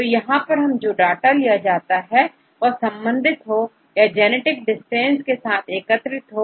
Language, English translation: Hindi, So, it requires the data to be connected or to be condensed with genetic distance